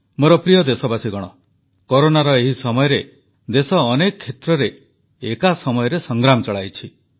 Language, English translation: Odia, My dear countrymen, during this time period of Corona, the country is fighting on many fronts simultaneously